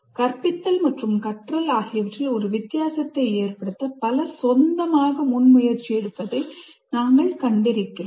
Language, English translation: Tamil, We have seen so many people taking initiatives on their own to make a difference to the teaching and learning